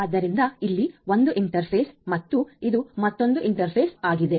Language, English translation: Kannada, So, this is one interface over here and this is another interface